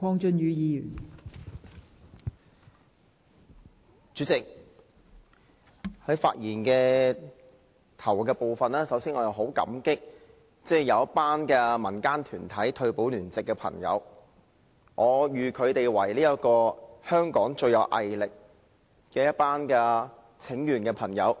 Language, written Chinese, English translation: Cantonese, 代理主席，在發言之初，我十分感謝民間一群來自爭取全民退休保障聯席的朋友，我認為他們是香港最有毅力進行請願的朋友。, Deputy President at the beginning of my speech I wish to express my gratitude to a group of friends from the Alliance for Universal Pension . I think they are the most persevering petitioners in Hong Kong